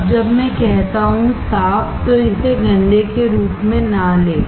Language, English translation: Hindi, Now, when I say clean do not take it as a dirty